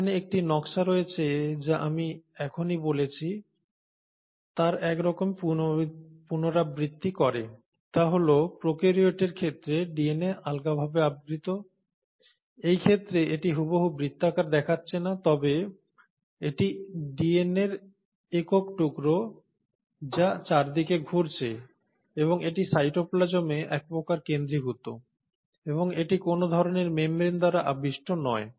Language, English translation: Bengali, So let us look at, now here is a diagram which kind of recapsulates what I just said that the DNA in case of prokaryotes is a loosely circular, in this case it is not looking exactly circular but this is a single piece of DNA which is running around and it is kind of centred within the cytoplasm and it is not surrounded by any kind of a membrane itself